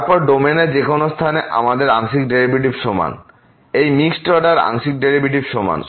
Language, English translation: Bengali, Then at any point in the domain we have the partial derivatives equal; this mixed order partial derivatives equal